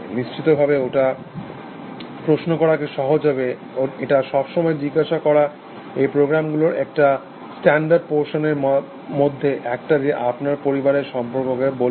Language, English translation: Bengali, It of course, makes it easy to ask questions, it can always one of the standard questions these program ask is, tell me more about your family